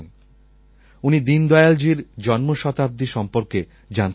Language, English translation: Bengali, He has written that he wants to know about the birth centenary of Dindayal ji